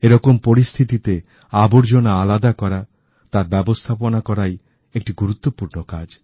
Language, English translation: Bengali, In such a situation, the segregation and management of garbage is a very important task in itself